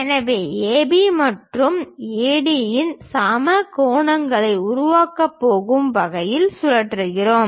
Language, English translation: Tamil, So, AB and AD we are rotating in such a way that they are going to make equal angles